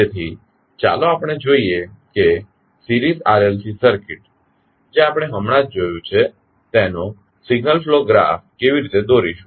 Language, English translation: Gujarati, So, let us see how we draw the signal flow graph of the series RLC circuit we just saw